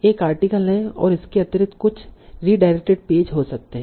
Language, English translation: Hindi, Then additionally there can be some redirect pages